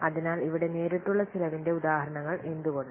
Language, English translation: Malayalam, So, these are examples of direct cost here